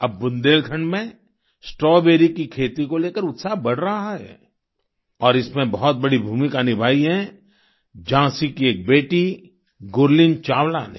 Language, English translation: Hindi, Now, there is growing enthusiasm about the cultivation of Strawberry in Bundelkhand, and one of Jhansi's daughters Gurleen Chawla has played a huge role in it